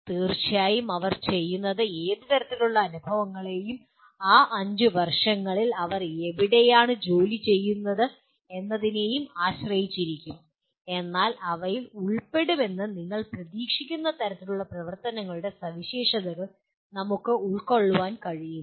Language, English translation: Malayalam, Of course, what they do will depend on what kind of experiences, where they are employed during those 5 years, but can we capture the features of the type of activities we expect them to be involved